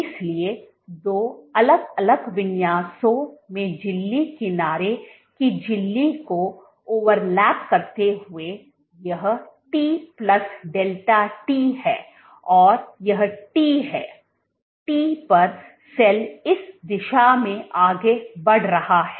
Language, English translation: Hindi, So, overlapping the membrane reading edge membrane at two different configurations this is t plus delta t and this is t, is at t the cell is moving in this direction